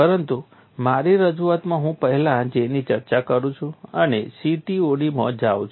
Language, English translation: Gujarati, But my presentation I am discussing J first and go to CTOD